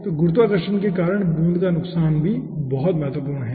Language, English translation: Hindi, so loss of drop due to gravity is also very, very important